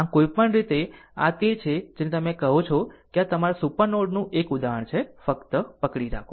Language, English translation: Gujarati, So, anyway; so, this is your what you call ah that one example of your supernode, right just hold on